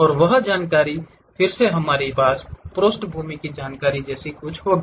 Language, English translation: Hindi, And those information again we will have something like a background information